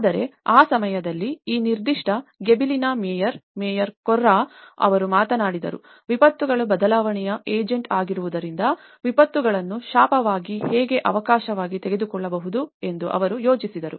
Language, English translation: Kannada, But then at that time, the mayor of that particular Gibellina, mayor Corra he talked about, he thought about how disasters could be taken as an opportunity rather the curse because disasters are the agents of change